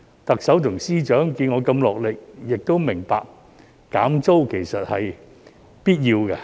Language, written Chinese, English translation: Cantonese, 特首和司長看到我如此落力，亦明白減租是必要的。, Upon seeing how hard I had tried the Chief Executive and the Financial Secretary then came to realize the necessity of rental reduction